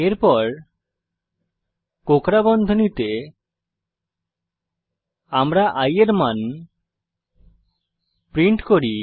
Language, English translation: Bengali, Then, in curly bracket we print the value of i Now, let us see the output